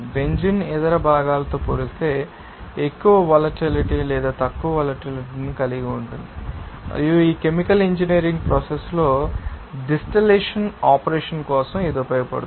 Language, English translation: Telugu, Actually that you know benzene will be relatively higher volatile or less volatile relative to that other component and it will be useful for you know basically for you know distillation operation in chemical engineering process